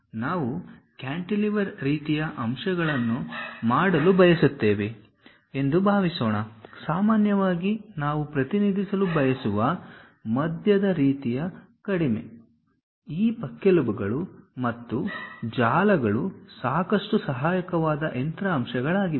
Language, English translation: Kannada, Something like cantilever kind of suppose we would like to really do that; perhaps off center kind of lows we would like to represent, usually these ribs and webs are quite helpful kind of machine elements